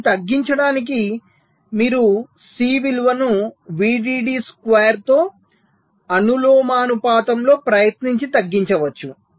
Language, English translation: Telugu, so to reduce it you can try and reduce the value of c proportional to square of v